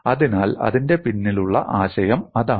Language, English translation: Malayalam, So that is the idea behind it